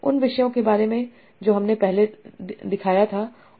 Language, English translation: Hindi, Same topics that we were showing earlier